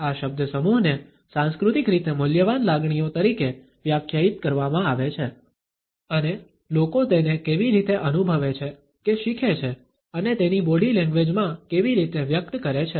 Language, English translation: Gujarati, This phrase is defined as culturally valued emotions and how people want or learn to feel it and express it in their body language